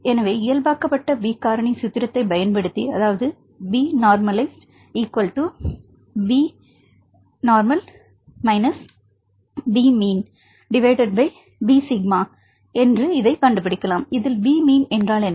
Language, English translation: Tamil, So, in order to normalize that we can derive the normalized B factor using the formula of B normalized equal to B minus B mean right what is B mean